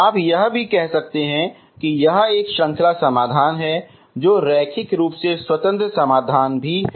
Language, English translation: Hindi, You can also say that this is a series solution which is also linearly independent solution, okay